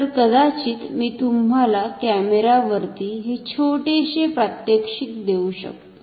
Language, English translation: Marathi, So, maybe I can give you a small demonstration like this over camera piece